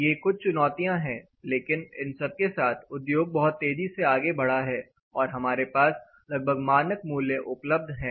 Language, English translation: Hindi, These are challenges, but with all this the industry has proceeded much faster so we have more or less standard values available